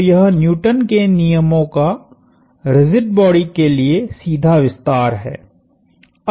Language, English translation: Hindi, So, this is direct extension of Newton's laws to rigid bodies